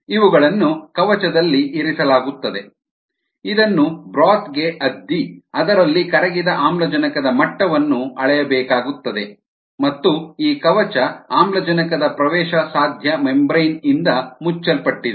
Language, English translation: Kannada, these are placed in a housing which is dipped into the broth in which the dissolved oxygen level needs to be measured, and this housing is covered with an oxygen permeable membrane